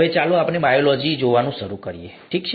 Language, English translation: Gujarati, Now, let us start looking at “Biology”, okay